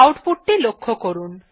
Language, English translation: Bengali, Now observe the output